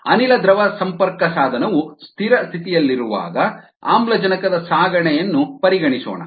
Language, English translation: Kannada, let us consider the transport of oxygen across the gas liquid interface when it is at steady state